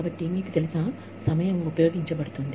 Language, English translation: Telugu, So, you know, the time is being used up